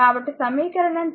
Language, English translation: Telugu, So, equation 2